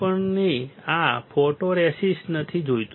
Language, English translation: Gujarati, We do not want this photoresist right